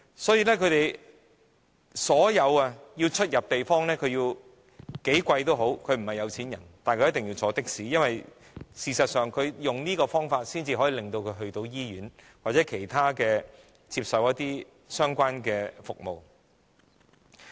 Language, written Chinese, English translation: Cantonese, 所以，他們雖然並非富裕人士，但出入所有地方，也要乘坐的士，因為唯有用這種方式，他們才能抵達醫院或其他地方接受相關服務。, Hence even though they are not well - off they need to rely on taxis when travelling to anywhere . Because it is only with this means that they can arrive at the hospitals or other places to receive the required services